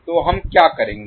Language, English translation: Hindi, So what we will do now